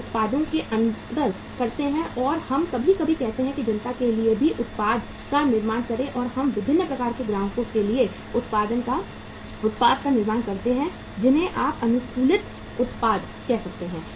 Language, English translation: Hindi, We differentiate the products and we sometime say uh manufacture the product for masses also and we manufacture the product for the for the different type of the customers you can call them the manufacturing the customized products